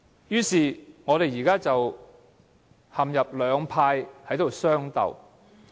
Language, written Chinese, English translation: Cantonese, 如是者，我們兩派便陷入相鬥。, The two camps thus fall into rivalry